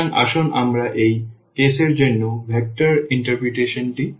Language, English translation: Bengali, So, let us look for the vector interpretation for this case as well